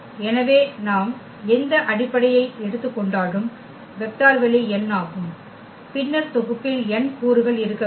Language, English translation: Tamil, So, whatever basis we take the dimension is n of the vector space then there has to be n elements in the set